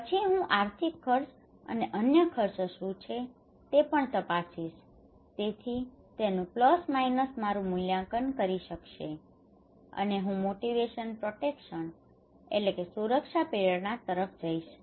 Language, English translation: Gujarati, Then I also check what are the financial costs and other costs so plus/minus would decide my coping appraisal and I go for protection motivations